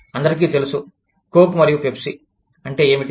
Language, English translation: Telugu, Everybody knows, what Coke and Pepsi is